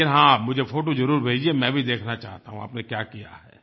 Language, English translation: Hindi, But yes, do send me the photos, I also want to see what you have done